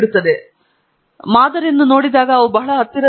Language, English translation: Kannada, When you look at the sample means they look pretty close